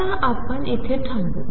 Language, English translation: Marathi, So, we stop here on this